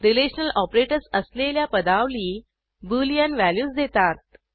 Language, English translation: Marathi, Expressions using relational operators return boolean values